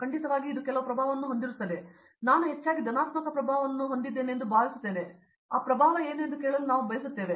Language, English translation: Kannada, Definitely that will have a some influence I hope mostly is positive influence, but yes, but we would like to hear that what is that influence